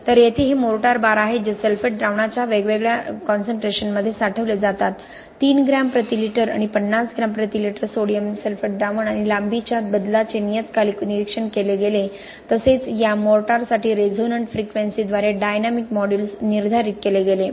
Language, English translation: Marathi, Some examples from recent laboratory studies just to put this in perspective so here these are mortar bars which are stored in different concentration of sulphate solutions 3 gram per litre and 50 gram per litre of sodium sulphate solution and periodic monitoring of the length change was done, also dynamic modulus by resonant frequency was determined for this mortar bars